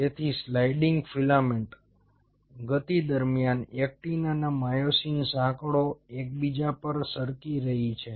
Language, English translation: Gujarati, so during sliding filament motion, it is the actin and myosin chains are sliding over one another